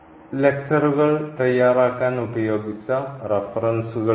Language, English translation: Malayalam, So, these are the references used for preparing the lectures and